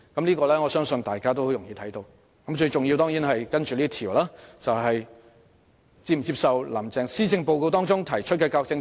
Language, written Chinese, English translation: Cantonese, 接下來的問題是最重要的問題，即是否接受"林鄭"在施政報告中提出的教育政策。, The next question is the most important one . The interviewees were asked whether they considered Carrie LAMs education policies in the Policy Address acceptable